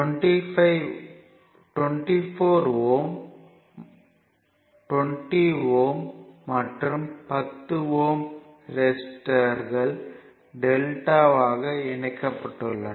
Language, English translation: Tamil, So, 24 ohm 20 ohm and 10 ohm register are delta connected and for simplicity